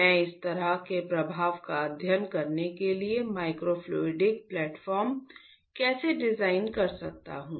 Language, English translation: Hindi, How can I design a microfluidic platform, microfluidic to study such a effect